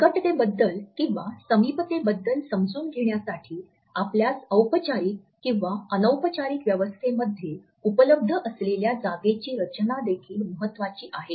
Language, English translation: Marathi, In our understanding of proximity, the way we arrange our space which is available to us in a formal or an informal setting is also important